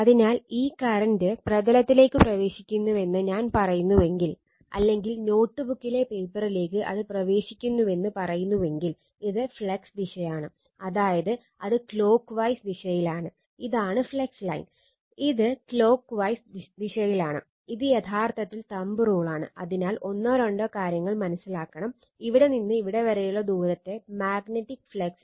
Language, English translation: Malayalam, So, if I say this current is entering into the plane right or in the paper your notebook say it is entering, then this is the direction of the flux right that is clockwise direction